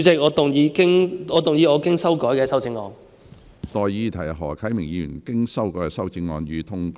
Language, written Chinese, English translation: Cantonese, 我現在向各位提出的待議議題是：何啟明議員經修改的修正案，予以通過。, I now propose the question to you and that is That Mr HO Kai - mings revised amendment be passed